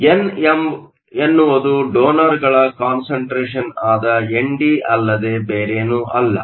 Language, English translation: Kannada, So, n is nothing but ND which is your concentration of donors